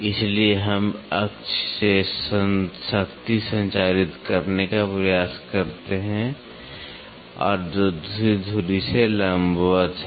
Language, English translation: Hindi, So, we try to transmit power from one axis and which is perpendicular to the other axis